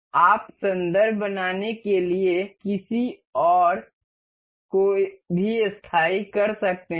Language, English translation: Hindi, You can fix anyone else to make a reference